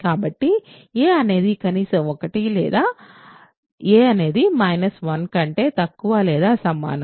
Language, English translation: Telugu, So, a is at least 1 or a is less than or equal to minus 1